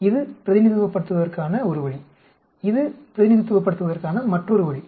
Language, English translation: Tamil, This is one way of representing; this is another way of representing